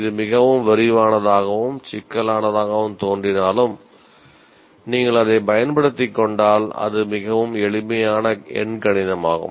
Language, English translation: Tamil, While this looks very too detailed and complicated, but once you get used to it, it is very simple arithmetic